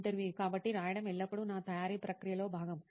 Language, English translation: Telugu, So writing was always part of my preparation process